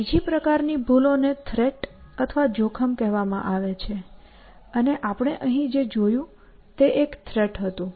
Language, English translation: Gujarati, The other kind of flaw is called a threat, and what we saw here was a threat essentially